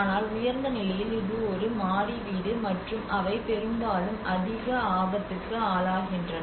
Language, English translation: Tamil, But whereas in the high, which is a one storey house which is based on and they are subjected mostly to the high risk